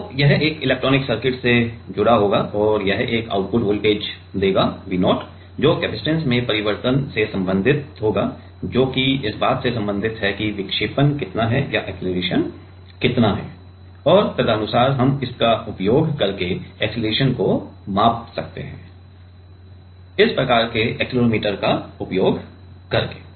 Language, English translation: Hindi, And, that will give an output voltage, V 0, which will be related to the change in the capacitance, which is in term related to how much is the deflection or how much is the acceleration and accordingly, we can measure the acceleration using this kind of accelerometer